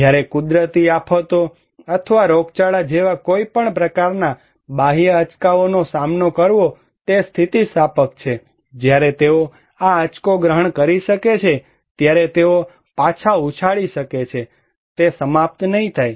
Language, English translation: Gujarati, When it is resilient to face any kind of external shocks like natural disasters or epidemics that they can absorb this shock, they can bounce back, they will not finish